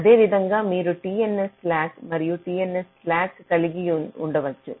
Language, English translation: Telugu, similarly, you can have t n s slack and t n s slack